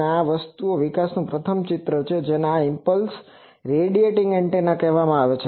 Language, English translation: Gujarati, And this is the picture of the first develop this thing this is called impulse radiating antenna